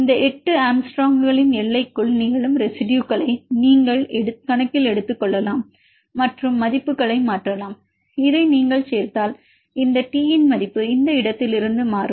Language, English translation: Tamil, You can take into account of the residues which are occurring within the limit of this 8 angstrom and substitute the values and if you add this then you we will the value of this T will change from this where this T